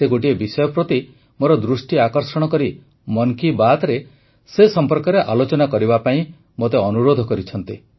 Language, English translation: Odia, She has drawn my attention to a subject and urged me to mention it in 'Man kiBaat'